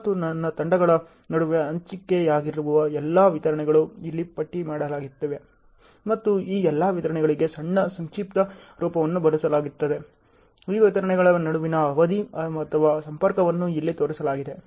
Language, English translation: Kannada, And all the deliverables which are all shared between the teams are all listed here and there is a short abbreviation used for all these deliverables; the time duration or linkage between these deliverables are all shown here